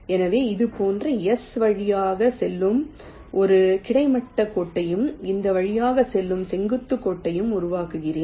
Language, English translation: Tamil, so i generate a horizontal line passing through s like this, and a vertical line passing through this